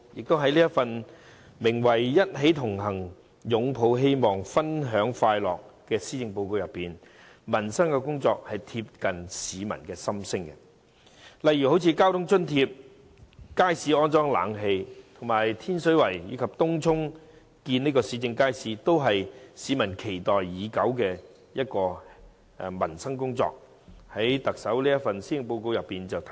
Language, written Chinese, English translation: Cantonese, 在這份題為"一起同行，擁抱希望，分享快樂"的施政報告中，民生工作貼近市民的心聲，例如交通津貼、街市安裝冷氣、天水圍及東涌興建市政街市，這些市民期待已久的民生工作，均在特首這份施政報告得以體現。, In the Policy Address titled We Connect for Hope and Happiness work on peoples livelihood echoes the aspirations of the public . The livelihood initiatives such as the transport fare subsidy installation of air conditioning in public markets construction of public markets in Tin Shui Wai and Tung Chung for which the public have aspired for a long time have now been realized in the Policy Address